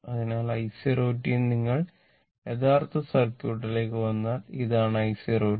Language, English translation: Malayalam, So, i 0 t that is your if you come to the original circuit, this is the i 0 t right